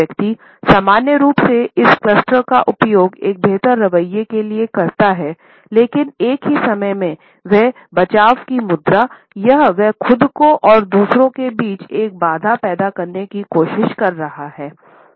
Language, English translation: Hindi, The person normally uses this cluster to suggest that he has got a superiority attitude, but at the same time he is feeling defensive or he is trying to create a barrier between himself and others